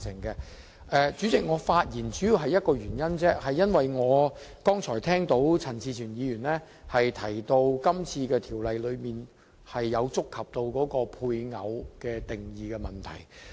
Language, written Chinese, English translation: Cantonese, 代理主席，我發言只是為了一個原因而已，便是我剛才聽到陳志全議員提到今次《條例草案》觸及配偶定義的問題。, I support all of these objectives . Deputy President I speak for one reason . That is after listening to the speech of Mr CHAN Chi - chuen in which he touched upon the definition of spouse in the Bill I wish to make clear a notion